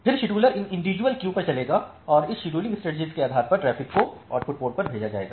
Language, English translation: Hindi, Then the scheduler will run over these individual queues and send the traffic based on this scheduling strategy to the output port